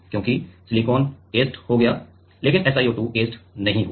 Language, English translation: Hindi, Because, silicon got etched, but SiO2 did not get etched